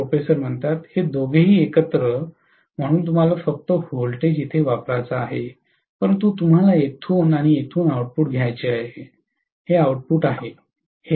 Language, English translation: Marathi, Both of them together, so you want to apply the voltage only here but you want to take the output from here and here, this is the output whereas this is the input